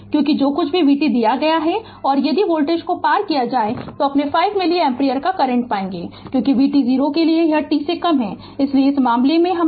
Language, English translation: Hindi, Because anything that v t is given and find the current your 5 milli ampere if the voltage across because, v t is 0 for t less than 0 right, so your in this case your i t 0 is equal to 0